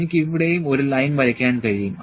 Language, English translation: Malayalam, I can draw a line here as well